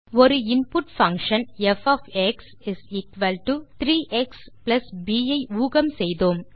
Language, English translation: Tamil, We predicted an input function f = 3 x + b